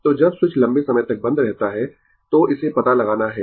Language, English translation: Hindi, So, when switch is closed for long time, so, that we have to find out